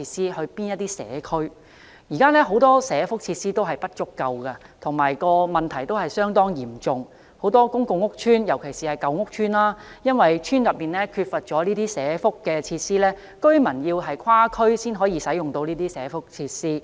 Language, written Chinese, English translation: Cantonese, 現時很多地區社福設施不足的問題相當嚴重，很多公共屋邨，尤其是舊屋邨，因為邨內缺乏社福設施，居民需要跨區才能享用社福設施。, The residents of many public housing estates especially the old ones have to travel to other districts to use the welfare services provided there owing to the lack of such facilities in their own districts